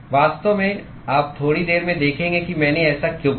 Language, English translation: Hindi, In fact, you will see in a short while why I did that